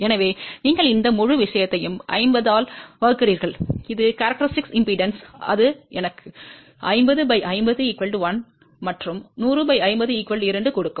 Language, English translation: Tamil, So, you divide this whole thing by 50 which is the characteristic impedance that will give me 50 divided by 50, 1 and 100 divided by 50 will be 2